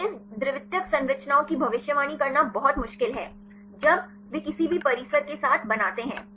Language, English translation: Hindi, So, it is very difficult to predict this secondary structures; when they form with the any of the complexes